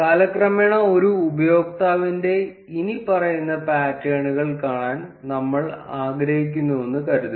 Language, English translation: Malayalam, Now suppose we would like to see the follow patterns of a user over time